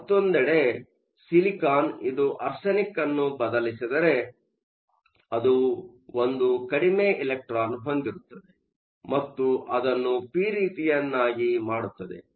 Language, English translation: Kannada, On the other hand, if silicon replaces arsenic, it has one less electron and it will make it p type